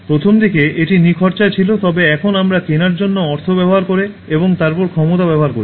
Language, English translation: Bengali, Initially it was free, but now we are buying using money for buying and then using power to possess it